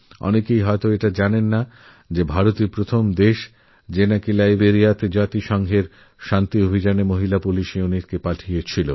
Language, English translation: Bengali, Very few people may know that India was the first country which sent a female police unit to Liberia for the United Nations Peace Mission